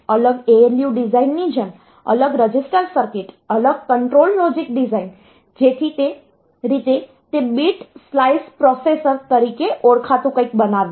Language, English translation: Gujarati, So, this separate ALU design, separate register circuits the register designs, separate control logic design so that way it made something called a bit sliced processor